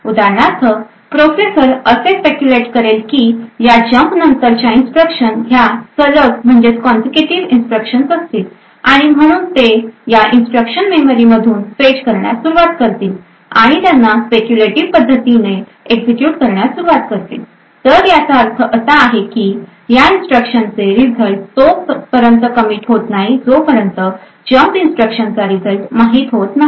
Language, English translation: Marathi, For example the processor would speculate that the instructions following this jump would be the consecutive instructions and therefore it will start to fetch these instructions from the memory and start to execute them in a speculative manner, what this means is that the results of these instructions are not committed unless and until the result of this jump instruction is known